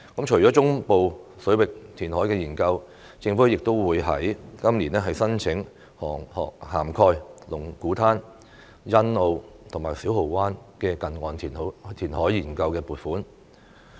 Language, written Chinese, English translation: Cantonese, 除了中部水域填海研究，政府亦會在今年申請涵蓋龍鼓灘、欣澳及小蠔灣的近岸填海研究的撥款。, Apart from studies related to the reclamation in the central waters the Government will also seek funding approval this year for studies on the near - shore reclamations on locations covering Lung Kwu Tan Sunny Bay and Siu Ho Wan